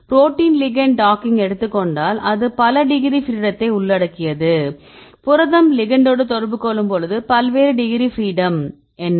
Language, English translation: Tamil, If you take the protein ligand docking right it involves many degrees of freedom right what are the various degrees of freedom when you protein interacts with the ligand, you can see at the translation, how many degrees of freedom for the translation